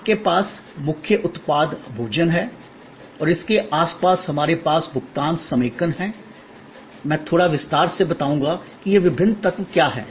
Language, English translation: Hindi, That you have the core product is food and around it we have payment consolidation, let me go through a little bit more in detail that what are this different elements